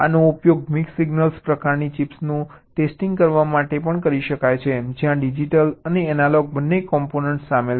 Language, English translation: Gujarati, this can be used to test the mix signal kind of chips where there are both digital and analog components involved